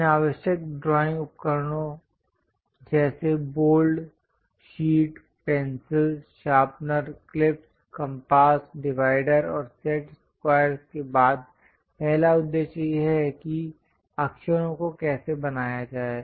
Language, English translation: Hindi, After these essential drawing instruments like bold, sheet, pencils, sharpener, clips, compass, divider, and set squares, the first objective is how to draw letters